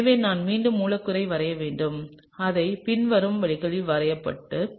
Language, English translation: Tamil, So, I am just to draw the molecule again let me just draw it the following way